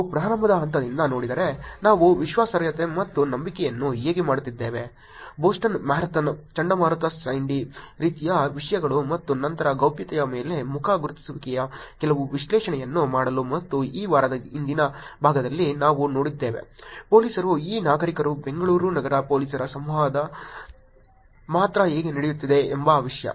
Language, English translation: Kannada, If we see from the starting point that is how we have been doing credibility and trust, Boston Marathon, Hurricane Sandy kind of topics and then on privacy to doing some analysis of the face recognition and even in policing earlier part of this week we looked at the content how the police and citizen, only Bangalore City Police interactions were going on